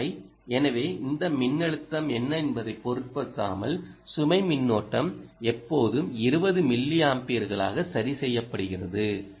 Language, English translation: Tamil, so irrespective of what this voltage is, the load current always is fixed to twenty milliamperes